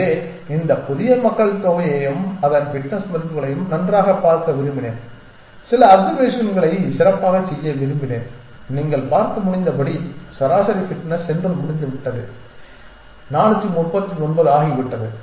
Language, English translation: Tamil, So I wanted to look at this new population and its fitness values and make some observations well, average fitness has gone as you can see is become 439